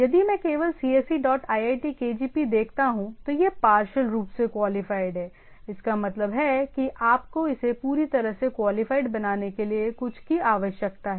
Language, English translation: Hindi, Only if I see only cse dot iitkgp, this is partially qualified; that means you require something to make it fully qualified